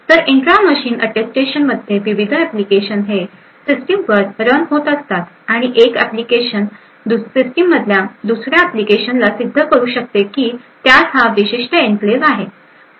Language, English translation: Marathi, So, the intra machine Attestation in a scenario where there are multiple applications running in a system and one application having a specific enclave can prove to another application in the same system that it has this particular enclave